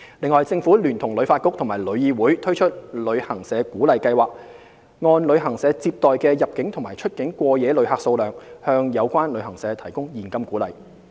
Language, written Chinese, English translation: Cantonese, 此外，政府聯同旅發局和旅議會推出"旅行社鼓勵計劃"，按旅行社接待的入境及出境過夜旅客數量，向有關旅行社提供現金鼓勵。, Besides the Government jointly with HKTB and TIC has launched the Travel Agents Incentive Scheme to provide cash incentives to travel agents based on the number of inbound and outbound overnight visitors they serve